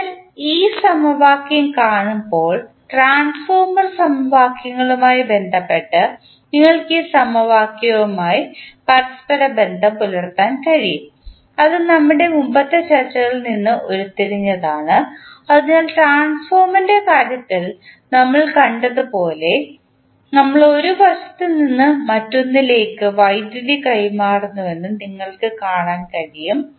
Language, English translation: Malayalam, So, when you see this equation, you can correlate these equations with respect to the transformer equations, which we derived in earlier discussions so you can also see that as we saw in case of transformer, we transfer the power from one side to other side, similarly the gear is the mechanical arrangement which transfers power from one side to other side